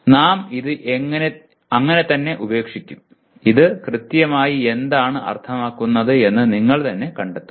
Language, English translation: Malayalam, We will just leave it at that and you explore what exactly this would mean